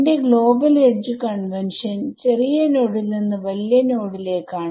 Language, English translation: Malayalam, My global edge convention is smaller node to larger node ok